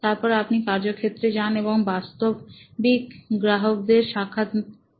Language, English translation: Bengali, Then you go out into the field and interview real customers